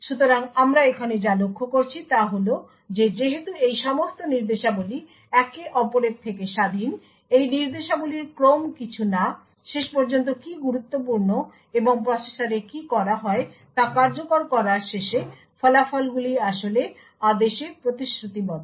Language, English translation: Bengali, So, what we notice over here is that eventually since all of these instructions are independent of each other the ordering of these instructions will not matter, what does matter eventually and what is done in the processor is at the end of execution the results are actually committed in order